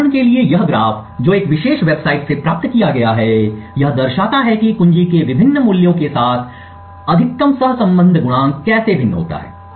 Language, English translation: Hindi, This graph for example which is obtained from this particular website shows how the maximum correlation coefficient varies with different values of key